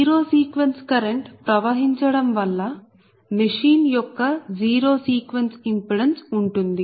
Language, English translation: Telugu, so zero sequence impedance of the machine is due to the flow of the zero sequence current